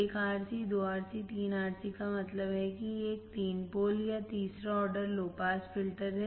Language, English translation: Hindi, 1 RC, 2 RC and 3 RC right that means, it is a three pole or third order low pass filter